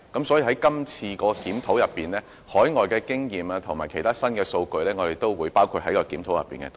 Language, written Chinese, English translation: Cantonese, 所以，我們會把海外的經驗及其他新數據也包括在今次的檢討內。, We would include overseas experience and other latest figures in the current review